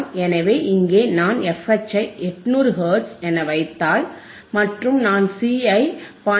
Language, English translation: Tamil, So, I substitute value of f H which is 800; and I substitute value of C which is 0